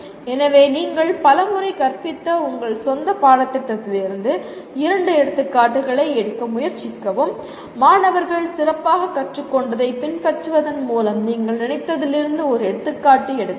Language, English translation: Tamil, So take two examples from your own course which you have taught several times and try to take an example from that you thought by following that the students have learned better